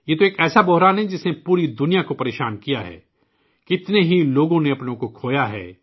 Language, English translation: Urdu, This is a crisis that has plagued the whole world, so many people have lost their loved ones